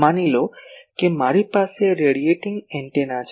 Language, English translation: Gujarati, That is suppose I have a radiating antenna